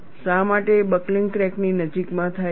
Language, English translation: Gujarati, Why buckling takes place near the vicinity of the crack